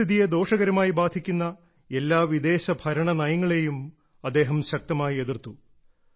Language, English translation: Malayalam, He strongly opposed every such policy of foreign rule, which was detrimental for the environment